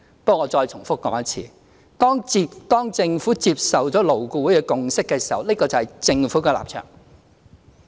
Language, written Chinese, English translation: Cantonese, 不過，我再重複說一次，當政府接受了勞顧會的共識時，那共識就是政府的立場。, Anyway let me repeat once again . When the Government accepts LABs consensus that consensus is the Governments position